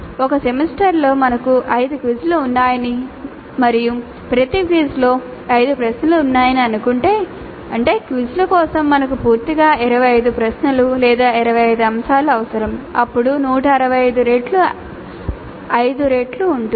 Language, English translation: Telugu, So, if you assume that in a semester we are having 5 quizzes, 5 quizzes in the semester and each quiz has 5 questions, that means that totally we need 25 questions or 25 items for quizzes